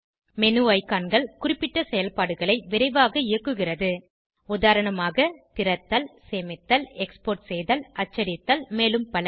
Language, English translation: Tamil, The menu icons execute certain functions quickly for eg open, save, export, print etc